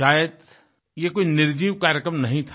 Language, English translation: Hindi, Perhaps, this was not a lifeless programme